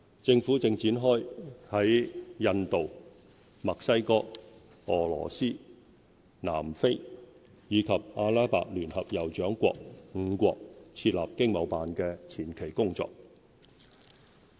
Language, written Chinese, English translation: Cantonese, 政府正展開在印度、墨西哥、俄羅斯、南非，以及阿拉伯聯合酋長國5國設立經貿辦的前期工作。, We are commencing preliminary work to set up ETOs in five other countries namely India Mexico Russia South Africa and the United Arab Emirates